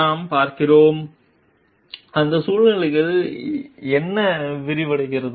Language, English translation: Tamil, And we see, what unfolds in that scenario